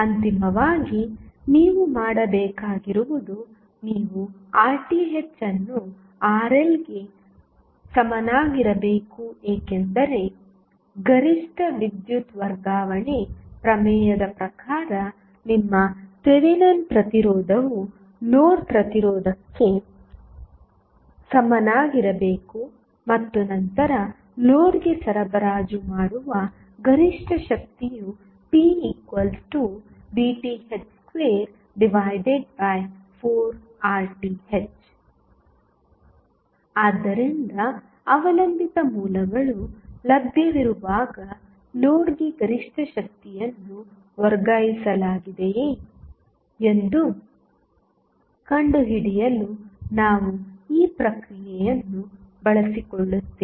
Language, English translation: Kannada, Finally, what you have to do you have to set Rth is equal to Rl because as per maximum power transfer theorem, your Thevenin resistance should be equal to the load resistance and then your maximum power transfer condition that is maximum power transfer being supplied to the load would be given us p max is nothing but Vth square upon Rth upon 4Rth so, will utilize this process to find out the maximum power being transferred to the load when dependent sources are available